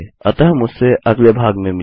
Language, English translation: Hindi, So join me in the next part